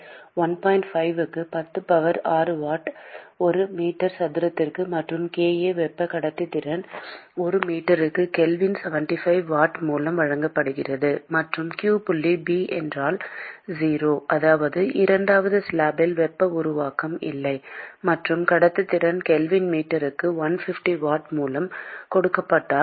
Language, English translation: Tamil, 5 into 10 power 6 watt per meter cube and kA thermal conductivity is given by 75 watt per meter Kelvin; and if q dot B is 0 which is which means that there is no heat generation in the second slab; and if conductivity is given by 150 watt per meter Kelvin